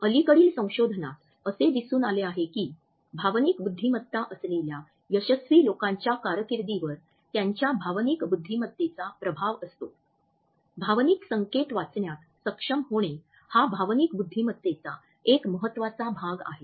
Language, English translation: Marathi, Recent research shows that emotional intelligence has an impact on how successful people are in their careers, being able to read emotional signals is one important part of that emotional intelligence